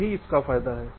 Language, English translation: Hindi, this is the advantage